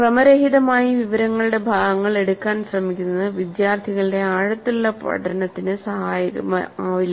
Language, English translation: Malayalam, Randomly trying to pick up pieces of information would not really contribute to any deep learning by the students